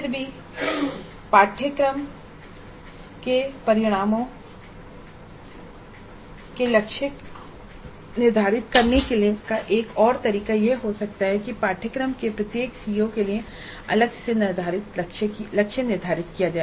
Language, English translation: Hindi, A other way of setting the targets for the course outcomes can be that the targets are set for each CO of a course separately